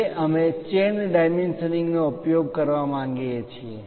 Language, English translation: Gujarati, Now, we would like to use chain dimensioning